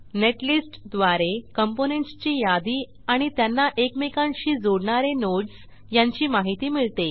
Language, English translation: Marathi, Netlist gives information about list of components and nodes that connects them together